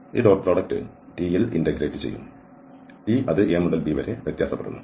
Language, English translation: Malayalam, This dot product will be integrated over t and this t varies from a to b